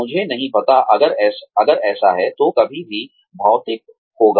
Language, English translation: Hindi, I do not know, if that will, ever materialize